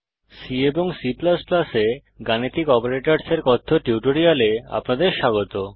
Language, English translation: Bengali, Welcome to the spoken tutorial on Arithmetic Operators in C C++